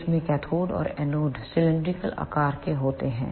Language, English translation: Hindi, In this the cathode and the anode are of cylindrical shape